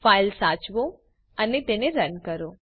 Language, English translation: Gujarati, save the file and run it